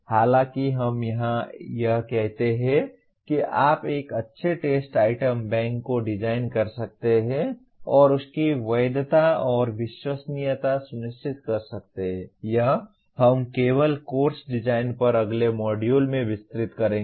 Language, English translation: Hindi, While we state here that means you can design a good test item bank and also ensure validity and reliability, this we will be elaborating only in the next module on Course Design